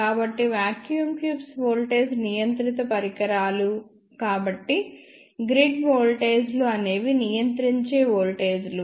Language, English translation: Telugu, Since, vacuum tubes are voltage controlled devices, so the grid voltages will be the controlling voltages